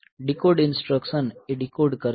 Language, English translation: Gujarati, So, decode will decode the instruction